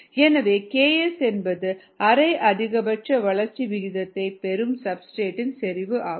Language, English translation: Tamil, ok, so k s is the substrate concentration at which you get half maximal growth rate